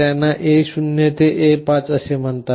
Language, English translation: Marathi, These are called A0 to A5